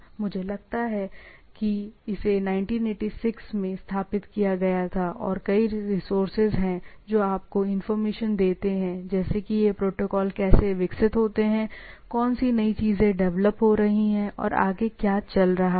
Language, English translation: Hindi, I think it is from 1986 or so, it has been established and there are several resources which give you gives you a things that how this protocols are developed, what new things are coming up and so and so forth